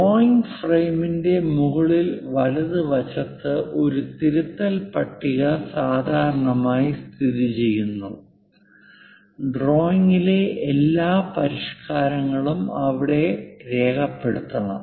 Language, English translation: Malayalam, A revision table is normally located in the upper right of the drawing frame all modifications to the drawing should be documented there